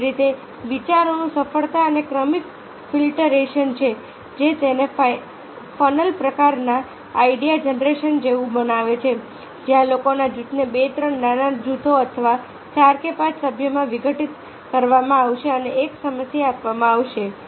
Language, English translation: Gujarati, similarly there is success and successive filtration of ideas which makes that it is just like a funnel type of idea generation where the a group of people who will be decomposed into two, three small groups or four or five members and a problem will be giving